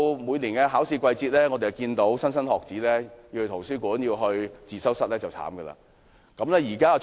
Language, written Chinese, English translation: Cantonese, 每年到了考試季節，要到圖書館、自修室的莘莘學子也很可憐。, Each year during examination time students who want to study in libraries and study rooms are having a difficult time